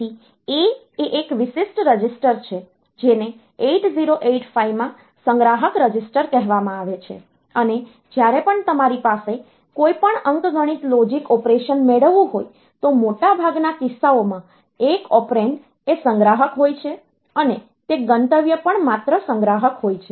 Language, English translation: Gujarati, So, A is a special register, which is called accumulator registered in 8085, and whenever you have got any arithmetic logic operation, then one of the operand in most of the cases is the accumulator, and also that destination is the accumulator only